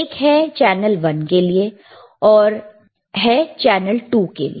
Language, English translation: Hindi, One is channel one, one is channel 2